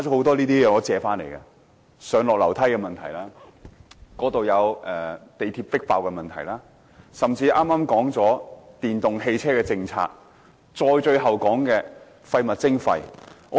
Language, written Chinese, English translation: Cantonese, 他們提到上、下樓梯的問題、地鐵迫爆的問題、甚至剛剛討論了電動汽車政策，以及最後討論的廢物徵費。, They have even discussed the electric vehicle policy and finally the waste charging scheme . The stuff I am holding is actually borrowed from them